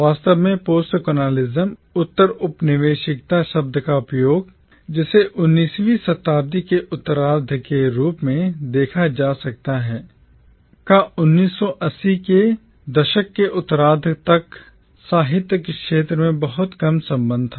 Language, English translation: Hindi, In fact, the use of the term postcolonialism, which can be traced as far back as the late 19th century, had little connection with the field of literature till almost the late 1980’s